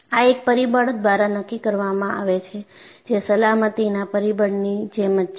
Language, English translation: Gujarati, And this is dictated by a factor that is similar to our safety factor